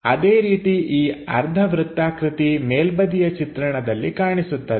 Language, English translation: Kannada, Similarly, this semicircle is visible from the top view